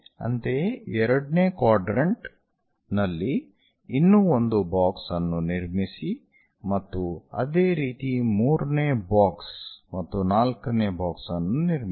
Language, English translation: Kannada, Similarly, construct one more box in the second quadrant and similarly, a 3rd box and a 4th box